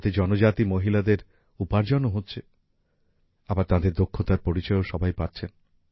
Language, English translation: Bengali, This is also providing employment to tribal women and their talent is also getting recognition